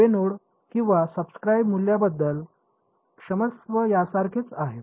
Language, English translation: Marathi, Left node and this is all equal to sorry the subscript value